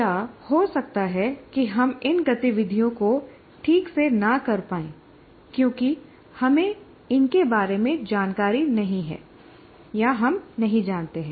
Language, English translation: Hindi, Or we may not be able to perform these activities properly because we are not aware of it and we do not know what is earlier